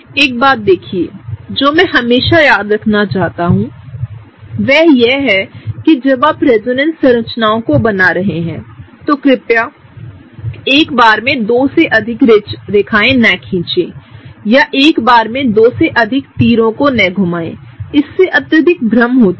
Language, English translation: Hindi, See one thing I always want everyone to remember is that when you are drawing resonance structures, please do not draw more than two lines at a time, or more than two curved arrows at a time, it gets highly confusing